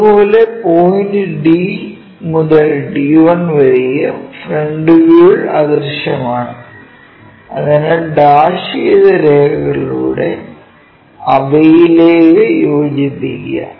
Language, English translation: Malayalam, Similarly, point D to D 1 also invisible from this front view so, join them by dashed lines